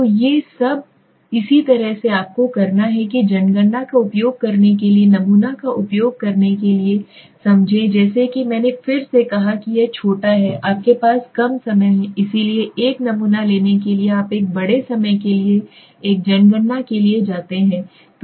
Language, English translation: Hindi, So all these are similarly you have to understand to when to use sample when to use census as I said again short it is a you know a time you have less time so go for a sample you have a large time go for a census